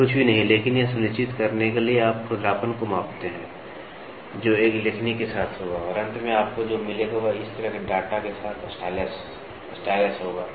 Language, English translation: Hindi, This is nothing, but to make sure see this you measure the roughness which will be with a stylus and then finally, what you get will be stylus with a data like this